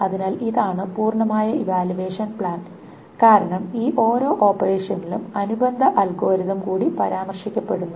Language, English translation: Malayalam, So this is the complete evaluation plan because each of these operations, the corresponding algorithm is also mentioned